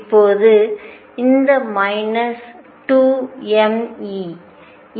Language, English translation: Tamil, Now, you may wonder why this minus 2 m E